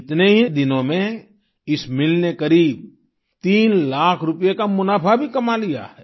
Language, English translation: Hindi, Within this very period, this mill has also earned a profit of about three lakh rupees